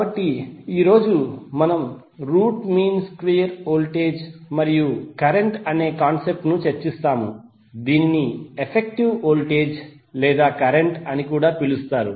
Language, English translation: Telugu, So today we will discuss the concept of root mean square voltage and current which is also called as effective voltage or current